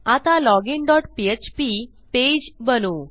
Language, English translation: Marathi, Now let us create our login dot php file